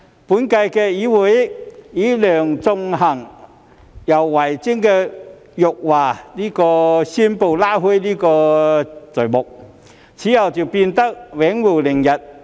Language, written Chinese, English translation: Cantonese, 本屆議會以梁頌恆和游蕙禎的辱華宣誓拉開序幕，此後就變得永無寧日。, The current term of the legislature began with the insulting oath - taking by Sixtus LEUNG and also YAU Wai - ching and the days thereafter remained very chaotic